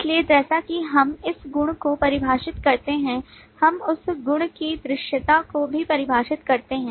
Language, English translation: Hindi, So as we define the property, we also define the visibility of that property